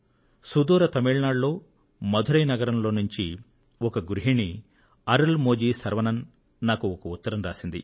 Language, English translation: Telugu, From the far south, in Madurai, Tamil Nadu, Arulmozhi Sarvanan, a housewife, sent me a letter